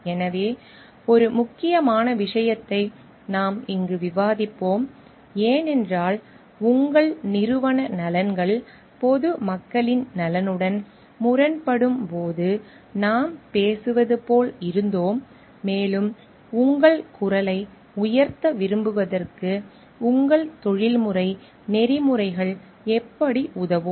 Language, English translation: Tamil, So, we will discuss here one important case of because we were like talking of like when your organizational interest may come into conflict with the interest of the public at large and how is your professional ethics which is going to help you to like raise your voice